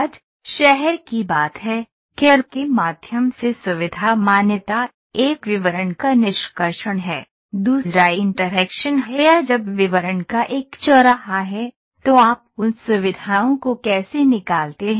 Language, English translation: Hindi, Today the talk of the town is, feature recognition through CAD, is a talk of a town, one is extraction of details, the two is interaction or when there is a intersection of details, then how do you extract those features